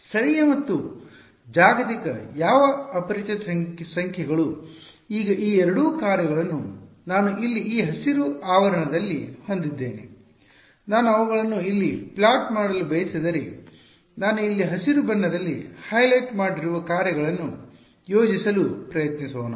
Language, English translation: Kannada, Local and global what unknown numbers now these two functions over here that I have in these green brackets over here, if I want to plot them over here let us let us try to plot the functions that I have shown highlighted in green over here